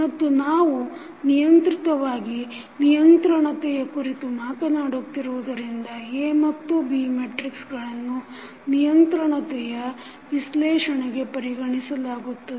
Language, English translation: Kannada, And we are particularly talking about the state controllability that is why A and B Matrices are being considered for the controllability analysis